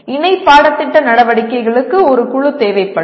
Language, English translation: Tamil, Co curricular activities that will require a group